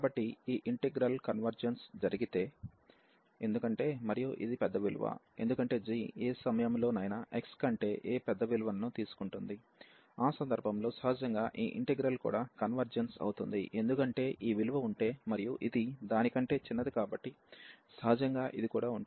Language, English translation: Telugu, So, if this integral converges if this integral converges, because and this is the larger value, because g is taking a larger value at any point x greater than a so, in that case naturally that this integral also converges, because if this value exists and this is a smaller than that so naturally this also exist